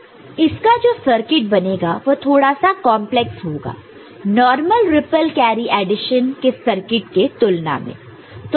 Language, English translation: Hindi, So, the circuit realization is little bit more complex than what was in case of this normal ripple carry addition